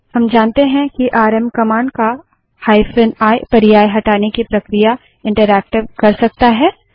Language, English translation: Hindi, We know that hyphen i option of the rm command makes the removal process interactive